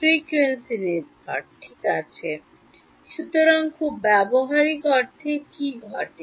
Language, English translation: Bengali, Frequency dependent right; so, in a very practical sense what happens